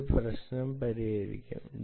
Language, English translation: Malayalam, this will solve the problem perhaps